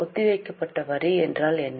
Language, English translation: Tamil, Here we had seen deferred tax